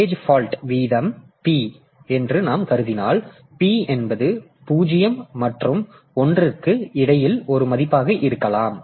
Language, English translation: Tamil, So, if we assume that a page fault rate is p, then p can be a value between 0 and 1